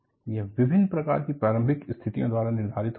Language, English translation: Hindi, It is dictated by the kind of initial conditions